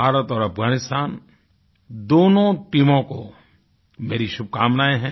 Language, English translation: Hindi, I felicitate both the teams of India & Afghanistan